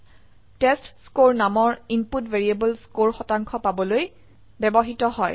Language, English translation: Assamese, The input variable named testScore is used to get the score percentage